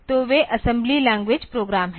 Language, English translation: Hindi, So, they are the assembly language program